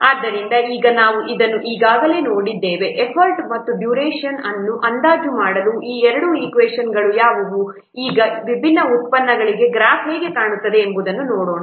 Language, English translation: Kannada, 32 so now let's see we have already seen this what two equations for estimating effort and duration now let's see how the graph will look like for the different products